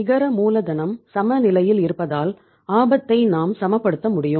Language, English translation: Tamil, We will be able to balance the risk because net working capital will be balanced